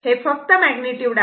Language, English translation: Marathi, This is magnitude only